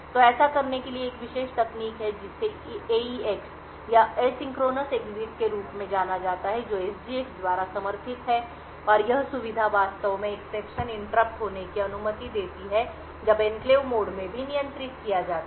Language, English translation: Hindi, So, in order to do this there is a special technique known as the AEX or the Asynchronous Exit which is supported by SGX and this feature would actually permit interrupts to be handled when in enclave mode as well